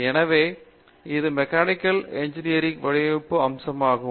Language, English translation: Tamil, So, that is the design aspect of Mechanical Engineering